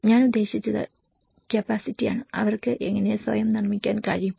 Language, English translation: Malayalam, I mean capacity, how they can build themselves